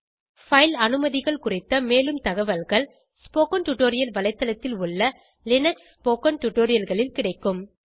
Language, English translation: Tamil, More information on file permissions is available in the Linux spoken tutorials available on the spoken tutorial website